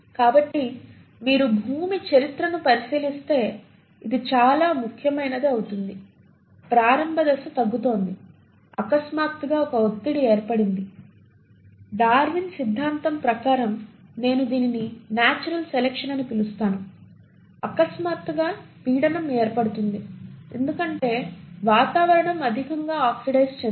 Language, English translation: Telugu, So if you were to look at the history of earth, this becomes very important; the initial phase is reducing, suddenly there is a pressure created which is again what I will call as natural selection in terms of Darwin’s theory, you suddenly have a pressure created because the atmosphere becomes highly oxidised